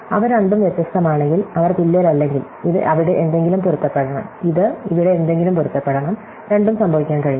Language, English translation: Malayalam, If they are both different, if they are not equal, then this must match something there and this must match something here and both cannot happen